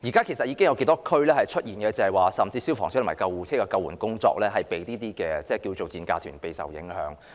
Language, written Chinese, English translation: Cantonese, 其實，現在頗多地區甚至已出現消防車及救護車的救援工作因這些所謂的"賤價團"而備受影響的情況。, In fact there were instances in some districts where the rescue tasks of fire engines and ambulances were hampered by these dirt - cheap - fare tour groups